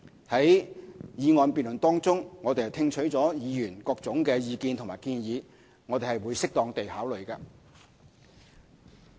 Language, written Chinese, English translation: Cantonese, 在議案辯論中，我們聽取了議員的各種意見和建議，會適當地考慮。, In the motion debate we have heard various opinions and recommendations of Members and will consider them as appropriate